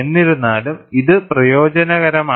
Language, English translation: Malayalam, Nevertheless, it is beneficial